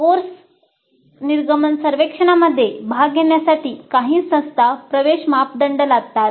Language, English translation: Marathi, So some institutes do impose an entry criteria for participating in the course exit survey